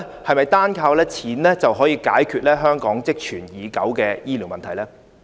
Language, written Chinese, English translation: Cantonese, 是否單靠錢便可以解決香港積存已久的醫療問題呢？, Can money alone solve the long - standing problems in our healthcare system?